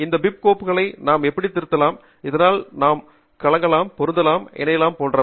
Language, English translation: Tamil, and how do we edit these bib files so that we can mix and match, combine, etc